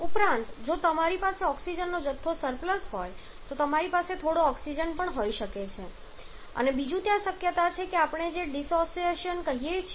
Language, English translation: Gujarati, Also you may have if the amount of oxygen is surplus you may have some oxygen present there also and secondly there is another possibility which we called dissociation